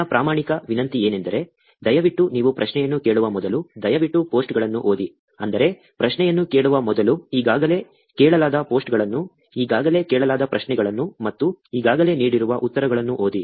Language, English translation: Kannada, My sincere request will be, please, please read the posts before you actually ask the question; that is, read the posts that have been already asked, the questions that have already been asked and the answers that has been already given, before asking the question